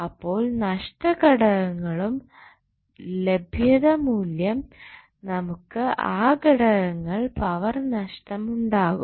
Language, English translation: Malayalam, So, because of the available loss components, we have the power loss in those components